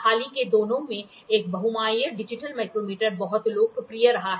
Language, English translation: Hindi, A multifunctional digital micrometer is being is being very popular in the recent times